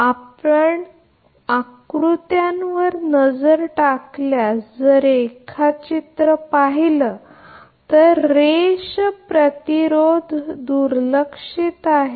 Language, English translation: Marathi, Basically, basically if you look in the diagram if you look into the diagram because line resistance is neglected there is